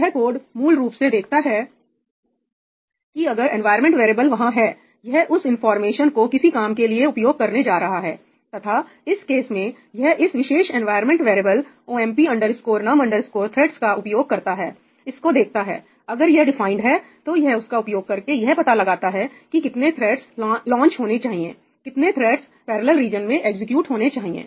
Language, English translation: Hindi, So, that code basically looks up if the environment variable exists it is going to use that information for something , and in this case it uses this particular environment variable OMP NUM THREADS, looks it up, if it is defined, it uses that to determine how many threads should be launched, how many threads should execute the parallel region